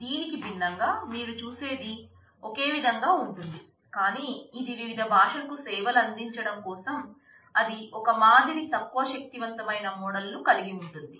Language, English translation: Telugu, What you the see in contrast does a similar thing, but since it is to cater for different languages it has got a softer model it has got less powerful model